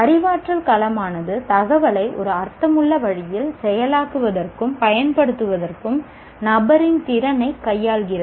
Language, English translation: Tamil, Cognitive domain deals with a person's ability to process and utilize information in a meaningful way